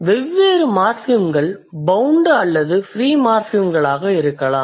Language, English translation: Tamil, The difference morphims be either bound or free